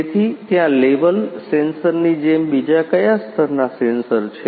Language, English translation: Gujarati, So, how what are different other sensors that are there only level sensors